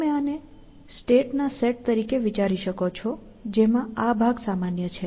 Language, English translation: Gujarati, You can think of this as a set of states in which, this part is common